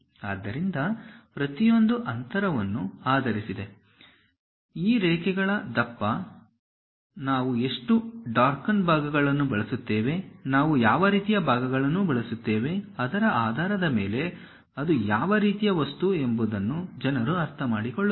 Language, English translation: Kannada, So, each one based on the spacing, the thickness of this lines, how much darken we use, what kind of portions we use; based on that people will understand what kind of material it is